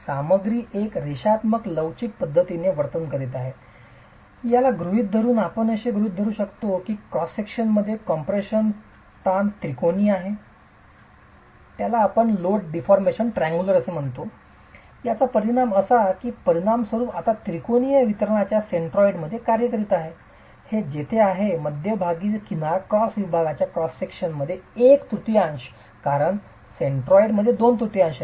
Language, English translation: Marathi, Under the assumption that the material is behaving in a linear elastic manner, we can assume that the cross section is under a triangular distribution of compressive stresses stresses which simply implies that the resultant now is acting at the centroid of that triangular distribution which is at the edge of the middle 1 third of the cross section because the centroid is at 2 thirds hence the middle the edge of the middle 1 3rd is where the resultant of the lateral plus gravity forces is acting